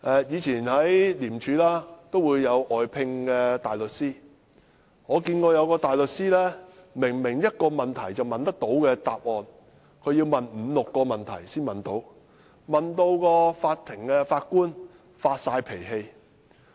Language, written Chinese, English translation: Cantonese, 廉政公署也會外聘大律師，我曾經遇見一個大律師，他明明可以問一個問題便得到答案，但他卻要問五六個問題才得到答案，令法官也發脾氣。, The Independent Commission Against Corruption ICAC will also employ counsel on fiat . In one case I met a barrister who could have got the desired answer with one question yet he had to ask five to six questions to get that answer causing the Judge to lose his temper